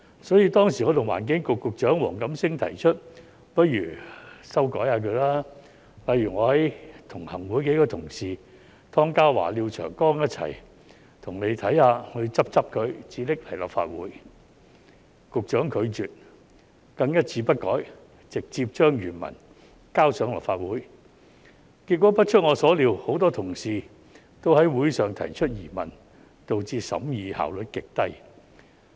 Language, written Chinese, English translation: Cantonese, 所以，當時我與環境局局長黃錦星提出不如修改它，例如我和行會數位同事湯家驊議員及廖長江議員一起幫當局看看、修改後才提交立法會，但局長卻拒絕，更一字不改直接將原文提交立法會，結果不出我所料，很多同事都於會上提出疑問，導致審議效率極低。, Therefore at that time I made a suggestion to the Secretary for the Environment Mr WONG Kam - sing that it should be amended . I offered to go through the Bill with several colleagues of mine in the Executive Council including Mr Ronny TONG and Mr Martin LIAO and have the Bill introduced to the Legislative Council after making amendments . But the Secretary refused to do so and introduced it to the Legislative Council directly without changing a single word in the original text